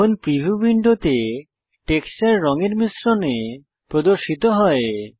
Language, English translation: Bengali, Now the texture in the preview window is displayed in a mix of colors